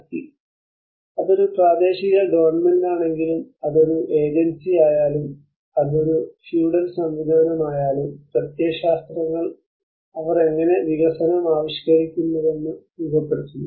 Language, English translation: Malayalam, Power; whether it is a local government, whether it is an agency, whether it is a feudal system, so that is where the ideologies how they frame how they conceive the development